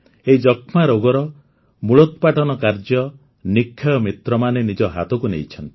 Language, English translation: Odia, To eliminate tuberculosis from the root, Nikshay Mitras have taken the lead